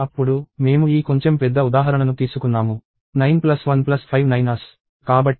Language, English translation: Telugu, Then, I have taken this slightly larger example – 9 plus 1 plus five 9’s